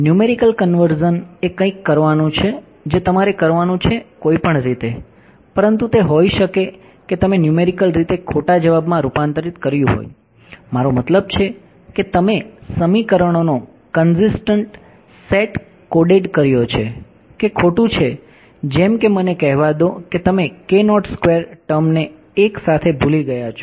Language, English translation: Gujarati, Numerical convergence is something that you have to do any way, but it may be that you have converged numerically to the wrong answer; I mean you have coded a consistent set of equations which are wrong like let us say you forgot the k naught squared term altogether